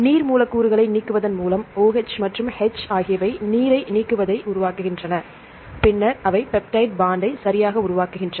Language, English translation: Tamil, By elimination water molecules, this OH and H they form water elimination of water, then they form the peptide bond right